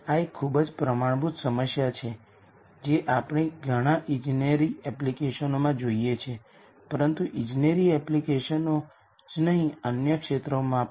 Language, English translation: Gujarati, This is a very standard problem that we see in many engineering applications and not only engineering applications in other fields also